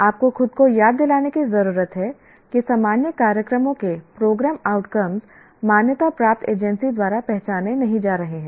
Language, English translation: Hindi, What you need to remind yourself is program outcomes of general programs are not going to be identified by accrediting agency